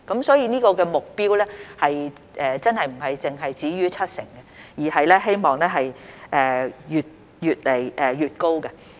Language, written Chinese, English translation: Cantonese, 所以，這個目標真的並非止於七成，而是希望越來越高。, So this target really does not just stop at 70 % and we hope that it will be higher and higher